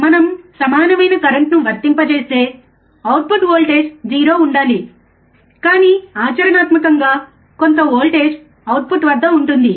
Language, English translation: Telugu, If we apply equal current, output voltage should be 0, but practically there exists some voltage at the output